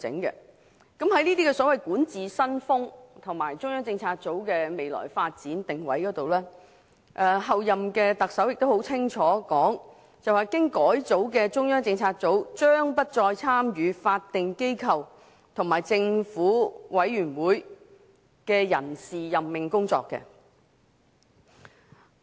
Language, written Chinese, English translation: Cantonese, 就這些所謂管治新風格和中央政策組的未來發展定位而言，候任特首清楚表明經改組的中央政策組將不再參與法定機構和政府委員會的人事任命工作。, Regarding this so - called new style of governance and the positioning of the future development of CPU the Chief Executive - elect has expressly stated that the reformed CPU will no longer participate in the appointment of members to statutory bodies and government committees